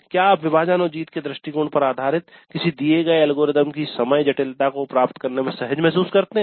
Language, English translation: Hindi, Do you feel comfortable in deriving the time complexity of a given algorithm that is based on a divide and conquer approach